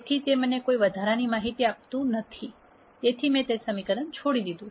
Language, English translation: Gujarati, So, that does not give me any extra information so, I have dropped that equation